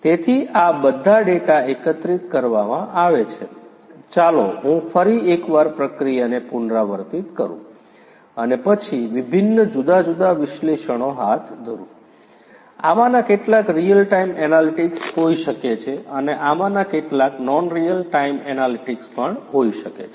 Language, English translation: Gujarati, So, all these data are collected let me just repeat the process once again, and then you know undertake different, different analytics, may be some of these could be real time analytics, some of this could be non real time analytics